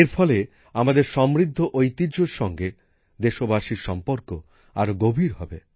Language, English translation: Bengali, This will further deepen the attachment of the countrymen with our rich heritage